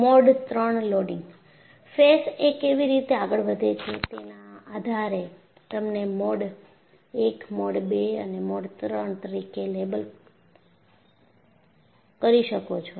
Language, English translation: Gujarati, How the faces move, depending on that you label them as Mode I, Mode II or Mode III